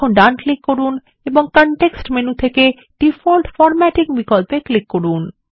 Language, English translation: Bengali, Now right click and from the context menu, click on the Default Formatting option